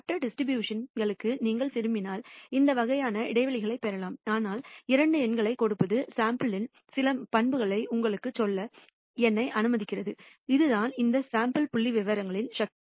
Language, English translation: Tamil, For other distributions you can derive these kind of intervals if you wish, but just giving two numbers allows me to tell you some properties of the sample and that is the power of these sample statistics